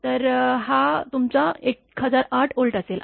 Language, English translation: Marathi, So, this will be your 1008 Volt